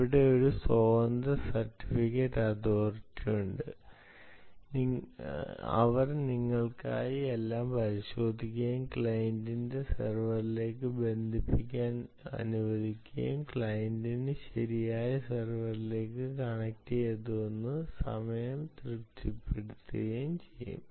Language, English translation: Malayalam, here there is an independent certificate authority who will verify everything for you and actually let the client connect to the server, and the client can satisfy itself that it is connecting to the right server